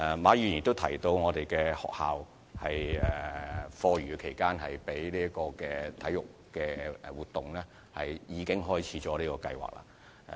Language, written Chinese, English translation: Cantonese, 馬議員亦提到有學校在課餘時間用作舉行體育活動，而有關計劃亦已開展。, Mr MA has also mentioned the holding of after - school sports activities by some schools and the relevant programme has already commenced